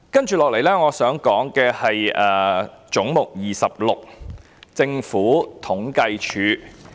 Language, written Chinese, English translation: Cantonese, 接下來我想說的是"總目 26― 政府統計處"。, Next I would like to talk about Head 26―Census and Statistics Department